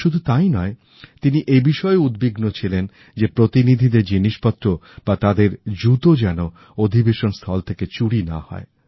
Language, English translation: Bengali, Not just that, he was also concerned about the safety and security of the delegates' shoes and baggage